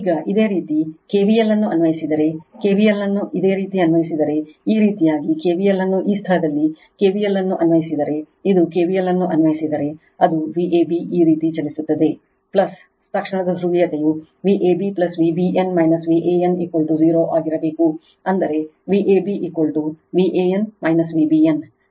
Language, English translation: Kannada, Now, if you apply k v l if you apply k v l like this if you apply k v l like this right in this in this place if you apply k v l, it will be V a b moving like this plus right instantaneous polarity must be V a b plus V b n minus V a n is equal to 0 right that means, my V a b is equal to V a n minus V b n right